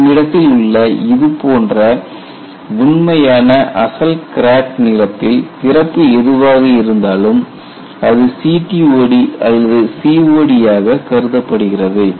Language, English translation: Tamil, So, this opens up like this, and you have the actual crack like this, and whatever the opening at the original crack length is considered as CTOD or COD